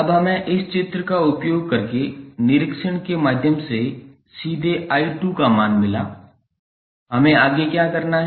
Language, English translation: Hindi, Now, we got the value of i 2 straightaway through inspection using this figure, what we have to do next